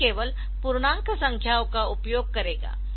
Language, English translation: Hindi, So, it will be using only integer numbers